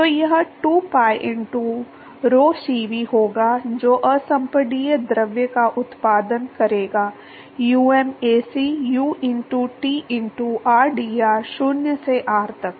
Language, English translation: Hindi, So, that will be 2pi into rho Cv producing incompressible fluid, um Ac, u into T into rdr, 0 to r